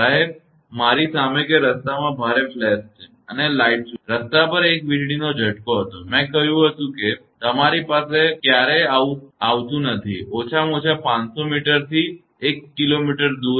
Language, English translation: Gujarati, Sir, in front of me that there is heavy flash on the road and a light flash and there was a lightning stroke on the road, I said it never happen in front of you; at least 500 to 1 kilometer away